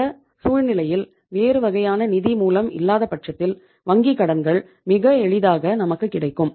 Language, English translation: Tamil, So in this case means if nothing else is available bank finance is easily available